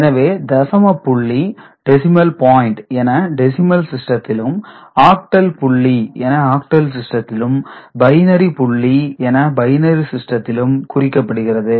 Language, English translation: Tamil, So, decimal point in decimal system, octal point in octal system, binary point in binary system, so that is the point over here ok